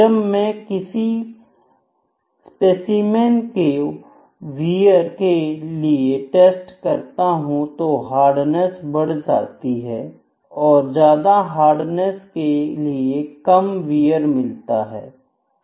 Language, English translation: Hindi, When I am testing some specimen for wear, the hardness is increasing for a more hardness I will see the wear would be less